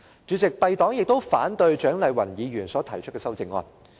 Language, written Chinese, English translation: Cantonese, 主席，敝黨亦反對蔣麗芸議員提出的修正案。, President our Party also opposes the amendment proposed by Dr CHIANG Lai - wan